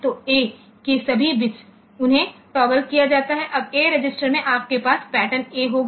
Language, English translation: Hindi, So, all bits of A, they are toggled, now in the A register, you will have the pattern A